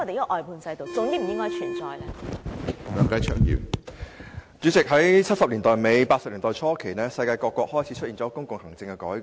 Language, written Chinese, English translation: Cantonese, 主席，在1970年代末、1980年代初，世界各國開始進行公共行政改革。, President at the end of the 1970s and the beginning of the 1980s countries around the world began to conduct public administration reforms